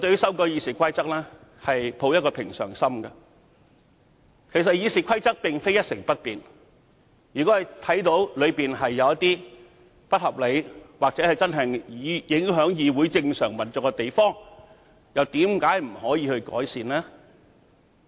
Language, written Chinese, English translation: Cantonese, 事實上，《議事規則》並非一成不變，如果發現有不合理或會影響議會正常運作之處，為何不能作出改善呢？, In fact it is not the case that RoP can never be changed . If some rules are found to be unreasonable or affecting the normal operation of the Council why shouldnt improvement be made?